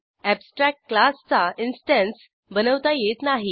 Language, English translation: Marathi, We cannot create an instance of abstract class